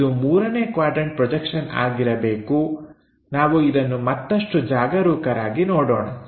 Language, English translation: Kannada, It must be third quadrant projection, let us look at it more carefully